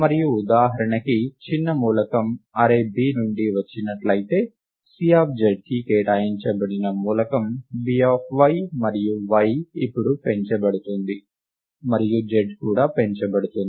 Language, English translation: Telugu, And for example, if the smaller element came from the array y array B, then the element assigned to C of z is B of y and y is now incremented and z is also incremented